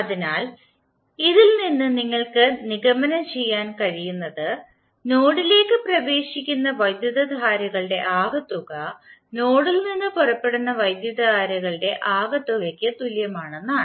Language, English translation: Malayalam, So from this, what you can conclude, that the sum of currents entering the node is equal to sum of currents leaving the node